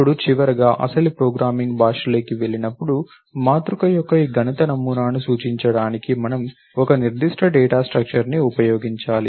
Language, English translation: Telugu, Now finally, when it goes in to the actual programming language, we have to use a concrete data structure to represent this mathematical model of a matrix which was